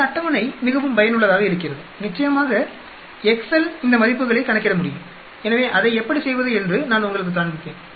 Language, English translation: Tamil, This table is very very useful and of course excel also can calculate these values so I will show you how to do that